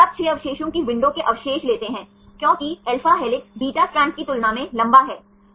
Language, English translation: Hindi, Then you take the window residues of 6 residues, because alpha helix is longer than the beta strands right